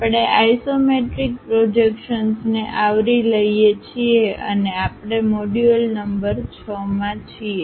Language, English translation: Gujarati, We are covering Isometric Projections and we are in module number 6